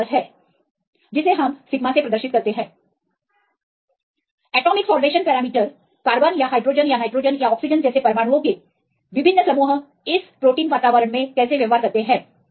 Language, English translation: Hindi, So, this proportionality we put this sigma I this is atomic salvation parameters how different groups of atoms like carbon or hydrogen or nitrogen or the oxygen behaves in the environment of this protein environment